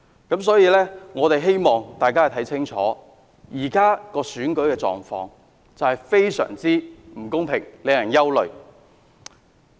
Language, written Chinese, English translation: Cantonese, 因此，我希望大家看清楚，現時的選舉狀況非常不公平，令人憂慮。, Therefore I hope members of the public can see clearly that the present election situation is very unfair and is a cause for concern